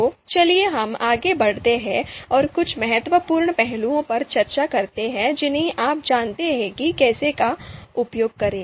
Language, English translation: Hindi, So let us move forward and discuss few important aspects you know when to use ELECTRE